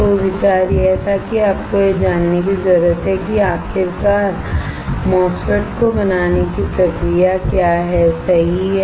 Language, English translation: Hindi, So, the idea was that you need to learn what are the process to finally fabricate MOSFET, correct